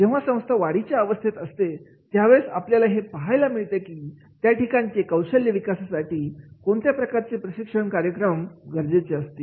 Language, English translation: Marathi, When an organization is a growing organization, that time we have to see that is the what type of the training programs for the competency development that will be required